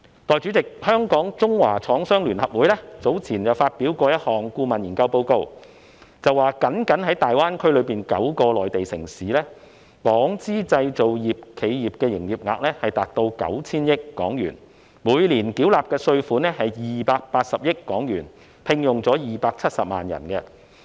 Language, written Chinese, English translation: Cantonese, 代理主席，香港中華廠商聯合會早前發表了一份顧問研究報告，該報告指，僅僅大灣區內9個內地城市的港資製造業企業，它們的營業額已達到 9,000 億港元，每年繳納的稅款是280億港元，而且，它們聘用了270萬人。, Deputy President previously the Chinese Manufacturers Association of Hong Kong released a consultancy study report . According to the report the Hong Kong - owned manufacturing enterprises in the nine Mainland cities within GBA alone already have an aggregate turnover of HK900 billion pay HK28 billion in tax annually and employ 2.7 million people